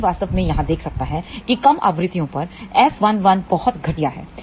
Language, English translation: Hindi, One can actually see here that at lower frequencies S 1 1 is very very poor